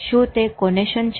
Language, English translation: Gujarati, Is it conation